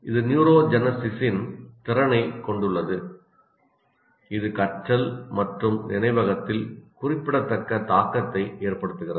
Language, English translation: Tamil, It has the capability of neurogenesis which has significant impact on learning and memory